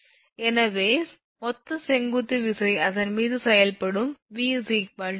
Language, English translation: Tamil, So, total vertical force will be acting on it V is equal to W into S